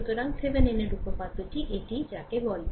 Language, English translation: Bengali, So, this is your what you call that Thevenin’s theorem